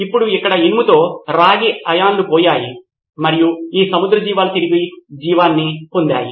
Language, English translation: Telugu, And now with the iron there, the copper ions were gone and they got the marine life back